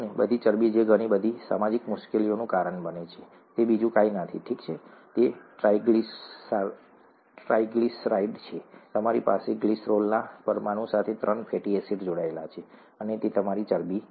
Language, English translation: Gujarati, All the fat that that causes a lot of social difficulty is nothing but this, okay, it is a triglyceride, you have three fatty acids attached to a glycerol molecule and that is your fat